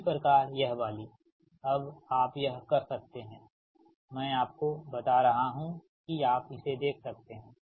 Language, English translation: Hindi, similarly, this one: now you can, you can, i am telling you you can check this one